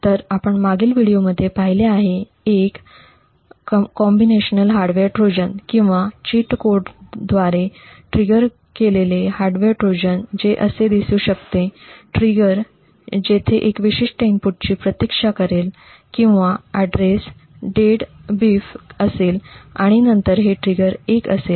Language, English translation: Marathi, So as we have seen in the previous video a combinational hardware Trojan or a hardware Trojan which is triggered by a cheat code would look something like this, the trigger would wait for a specific input over here or the address should be equal to 0xDEADBEEF and then it would actually set the trigger to be equal to 1